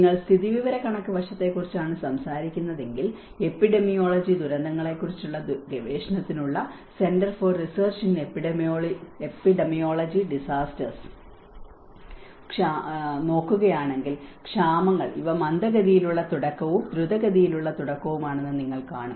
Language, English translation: Malayalam, If you are talking about the statistical aspect, if you look at this particular table from the CRED Center for research in Epidemiology Disasters, you will see that the famines, these are the slow onset and the rapid onset